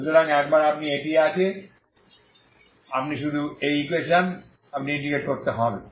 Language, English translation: Bengali, So once you have this you just have to integrate this equation you integrate